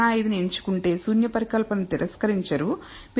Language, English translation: Telugu, 05 you will not reject the null hypothesis, if you choose 0